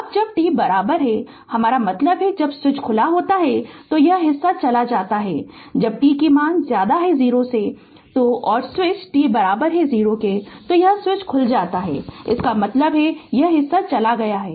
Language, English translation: Hindi, Now when t is equal to I mean at when switch is open then this part is gone when when t greater than 0 so and switch t is equal to 0 that switch is opened; that means, this part is gone right